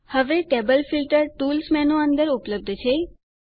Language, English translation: Gujarati, Now, Table Filter is available under the Tools menu